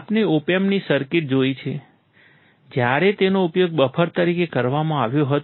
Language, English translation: Gujarati, We have seen the circuit of an OP Amp, when it was used as a buffer